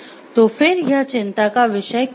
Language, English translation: Hindi, So, why it is a concern